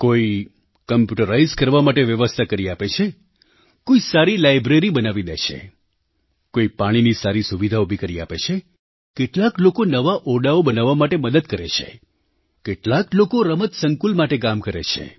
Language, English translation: Gujarati, Some arrange for systems for computerization, some organize a better library, others go for revamping drinking water facilities or new rooms